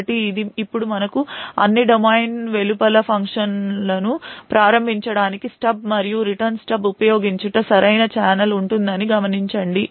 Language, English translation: Telugu, So, note that we would now have a proper channel using the stub and return steb to invoke functions outside of all domain